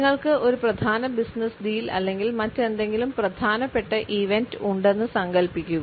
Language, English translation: Malayalam, Imagine you have a major business deal coming up or some other important event